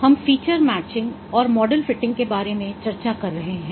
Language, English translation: Hindi, We are discussing about feature matching and model fitting